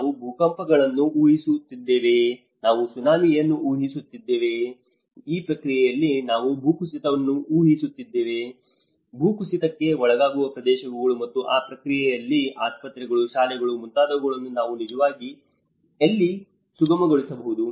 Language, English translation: Kannada, Are we predicting any earthquakes, are we predicting a Tsunami, are we predicting a landslide in this process, which are the areas which are landslide prone and in that process, where you can procure you know where we can actually facilitate them like hospitals, schools